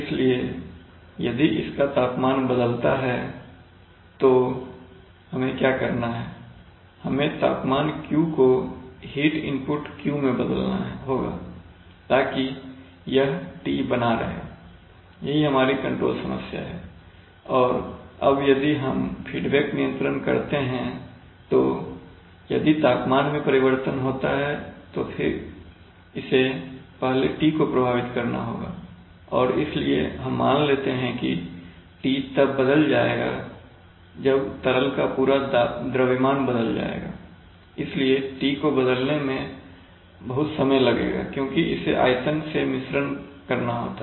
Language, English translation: Hindi, So if its temperature varies what we have to do is that, we have to correspondingly change the temperature Q the heat input Q, so that this T is maintained, this is, this is our control problem and now if we do a feedback control then if there is a temperature change then then that would have to affect T first and therefore the T will change when the, we assume when the whole mass of the liquid will change, so lot of time will take place before T can change because this has to mix through the, through the volume, rather than that we are assuming that if we sense this Ti suppose we put a temperature sensor, temperature transmitter and put a controller and feed it back here, here we give the set point